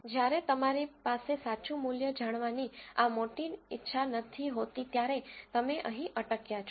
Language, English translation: Gujarati, When you do not have this luxury of knowing the true value this is where you stop